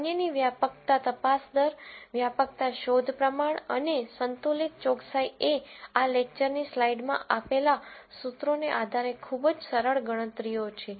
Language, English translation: Gujarati, The other ones prevalence detection rate, detection prevalence and, balanced accuracy are very very simple calculations based on the formulae, that we have in the slide, of this lecture